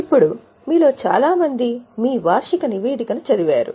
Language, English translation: Telugu, Now most of you would have read your annual report